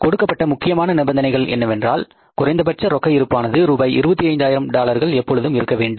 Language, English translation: Tamil, Very important condition given here is that assume that minimum cash balance of $25,000 is to be maintained all the times